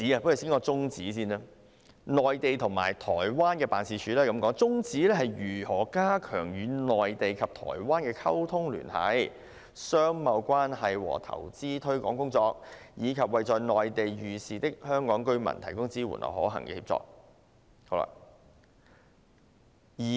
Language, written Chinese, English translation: Cantonese, 我先談"綱領 3： 內地及台灣辦事處"，其宗旨是加強與內地及台灣的溝通聯繫、商貿關係和投資推廣工作，以及為在內地遇事的香港居民提供支援和可行的協助。, Let me first talk about Programme 3 Mainland and Taiwan Offices . Its aims are to enhance liaison communication trade and commercial relations as well as investment promotion in the Mainland and Taiwan and to provide support and practical assistance to Hong Kong residents in distress in the Mainland